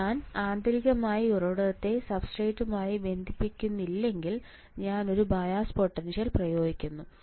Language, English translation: Malayalam, So, if I do not connect internally source to substrate, I do apply a bias potential